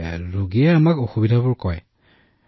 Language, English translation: Assamese, Yes, the patient also tells us about his difficulties